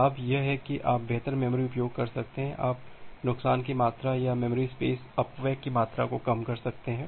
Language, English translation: Hindi, The advantage is that you can have a better memory utilization, you can reduce the amount of loss or amount of memory space wastage